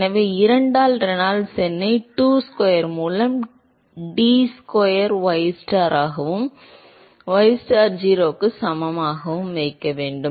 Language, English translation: Tamil, So, there will be 2 by Reynolds number into du square by dy square ystar, ystar equal to 0